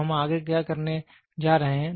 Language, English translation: Hindi, So, that is what we are going to next